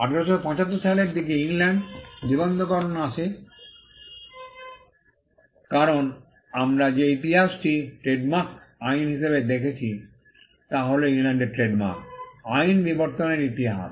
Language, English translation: Bengali, Registration came around the year 1875 in England because, the history that we are looking at for the trademarks act is the history of the evolution of trademark law in England